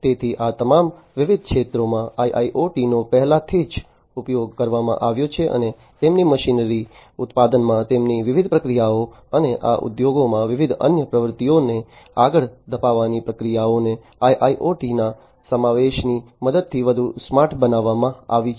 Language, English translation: Gujarati, So, in all of these different sectors IIoT has been already used and their machinery, their different processes in manufacturing and carrying on different other activities in these industries these have been made smarter with the help of incorporation of IIoT